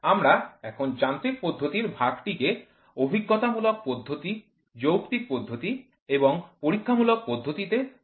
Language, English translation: Bengali, We have now further classified, the mechanism type in to empirical method, rational method and experimental method